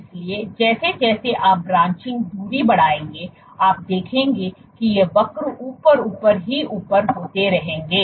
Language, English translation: Hindi, So, as you increase the branching distance you will see that these curves will keep on going up and up